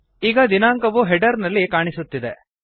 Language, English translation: Kannada, The date is displayed in the header